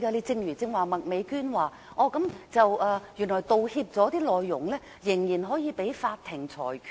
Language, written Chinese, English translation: Cantonese, 正如麥美娟議員剛才說，原來道歉內容可被法庭裁決。, As Ms Alice MAK has mentioned just now the contents of an apology is subject to decisions of a court